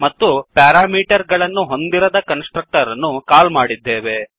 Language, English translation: Kannada, And we are calling a constructor without parameters